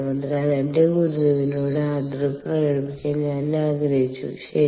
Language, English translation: Malayalam, ok, all right, so i wanted to just pay my respect to my guru, all right